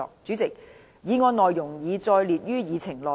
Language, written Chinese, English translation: Cantonese, 主席，議案內容已載列於議程內。, President the content of the motion is set out on the Agenda